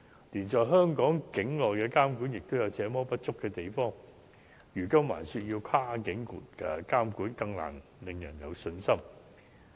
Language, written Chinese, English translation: Cantonese, 連在香港境內的監管也有這麼多不足，如今還說要跨境監管，就更難令人有信心。, When the regulation within Hong Kong border has left much to be desired it is even harder for people to be assured of the effectiveness of the cross - border regulation in question